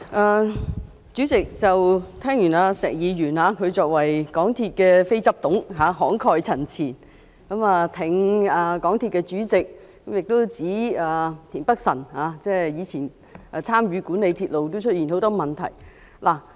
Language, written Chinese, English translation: Cantonese, 代理主席，聽完石議員的慷慨陳辭，他是香港鐵路有限公司的非執行董事，挺港鐵公司的主席，亦指田北辰議員以前參與管理鐵路時，也出現很多問題。, Deputy President after listening to Mr SHEKs eloquent speech we now know that he supports the Chairman of MTRCL in his capacity as a non - executive director of MTR Corporation Limited MTRCL . He also said that there were also many problems with the railway company when Mr Michael TIEN was in charge of this company